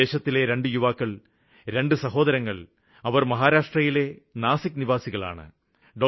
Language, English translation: Malayalam, There are two young brothers and that too from Nashik in our own state of Maharashtra